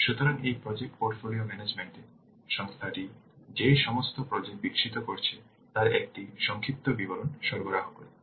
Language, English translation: Bengali, So, this project portfolio management will provide an overview of all the projects that the organization developing